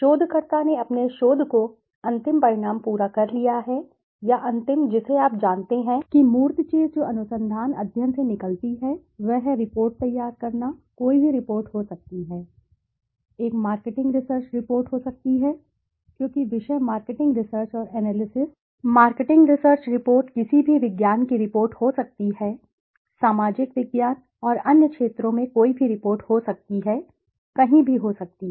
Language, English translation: Hindi, After researcher has completed his research the final outcome or the final you know the tangible thing that comes out of the research study is the report preparation, could be any report, could be a marketing research report because the subject is marketing research and analysis could be marketing research, report could be any science report, could be any report in social science and other areas, could be anywhere